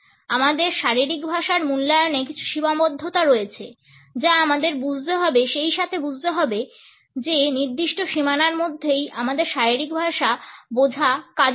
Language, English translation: Bengali, In our assessment of body language there are certain constraints which we have to understand as well as certain boundaries within which our understanding of body language should work